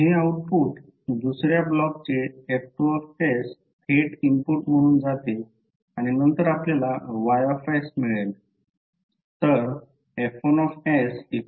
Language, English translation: Marathi, So this output goes directly as an input to the another block that is F2s and then finally you get the Ys